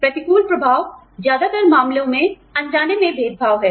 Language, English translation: Hindi, Adverse impact, in most cases is, unintentional discrimination